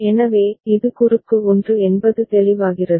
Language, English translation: Tamil, So, this is cross 1 is it clear